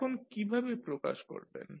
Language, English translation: Bengali, Now, how you will represent